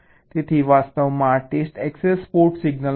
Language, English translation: Gujarati, so actually these will be the test access port signals